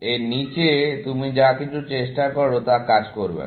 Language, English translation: Bengali, Anything you try below this is not going to work